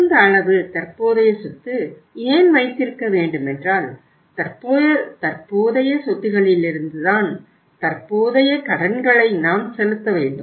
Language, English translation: Tamil, Whey we are talking of maintaining the optimum level of current assets because from the current assets we have to pay the current liabilities